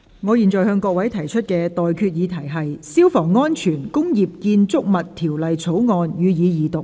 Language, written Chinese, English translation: Cantonese, 我現在向各位提出的待決議題是：《消防安全條例草案》，予以二讀。, I now put the question to you and that is That the Fire Safety Bill be read the Second time